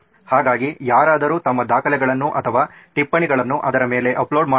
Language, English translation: Kannada, So someone can upload their documents or their notes onto it